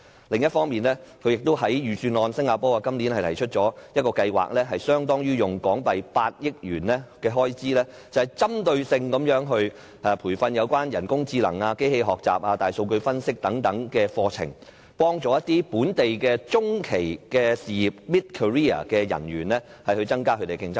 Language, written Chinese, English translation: Cantonese, 另一方面，新加坡在今年的預算案提出一項計劃，投放相當於8億港元的開支，針對性提供有關人工智能、機器學習、大數據分析等課程培訓，幫助當地中期事業的從業員增加競爭力。, What is more the budget of Singapore this year earmarks a sum equivalent to HK800 million for a scheme dedicated to the provision of training programmes on artificial intelligence AI machine - aided learning big data analysis and the like with a view to enhancing the competitiveness of mid - career employees